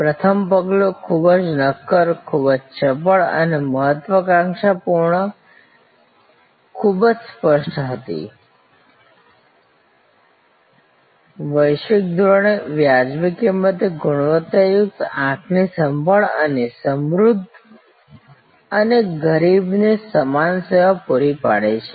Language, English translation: Gujarati, First step, very concrete, very crisp and the ambition was very clear, quality eye care at reasonable cost at global standard and provides service to rich and poor alike